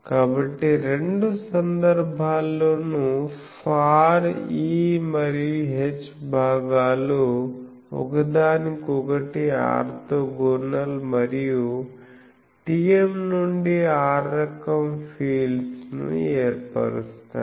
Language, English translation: Telugu, So, it turns out that in both the cases the far E and H components are orthogonal to each other and form TM to r type of fields or mods model fields